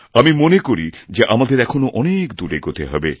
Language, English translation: Bengali, I also know that we still have to go much farther